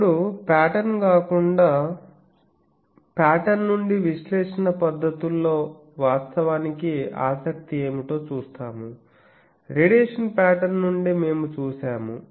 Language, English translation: Telugu, Now, apart from pattern; so from pattern we will see what are the interest actually in analysis techniques also, we have seen that from a radiation pattern